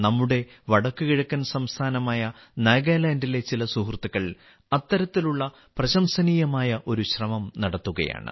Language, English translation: Malayalam, One such commendable effort is being made by some friends of our northeastern state of Nagaland